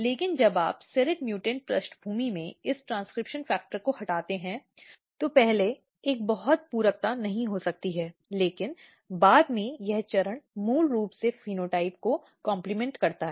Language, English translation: Hindi, But when you combine this when you knock out this transcription factor in serrate mutant background, early there might be not a much complementation, but later stages this basically compliment the phenotype